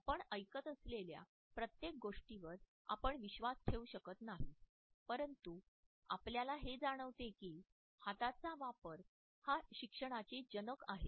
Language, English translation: Marathi, We may not believe everything we may hear but we realize that hand and use is father of learning